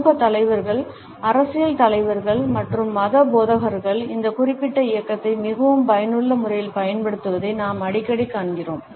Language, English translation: Tamil, We often find social leaders, political leaders and religious preachers using this particular movement in a very effective manner